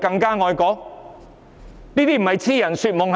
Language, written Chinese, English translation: Cantonese, 這不是癡人說夢是甚麼？, It is just wishful thinking is it not?